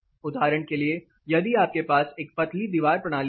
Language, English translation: Hindi, For example, if you have a thin wall system your wall system